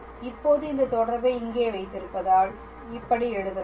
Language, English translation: Tamil, And now, that we have this relation here, we can write hence